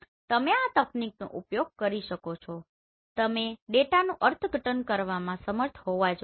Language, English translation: Gujarati, You can use this technology you should be able to interpret the data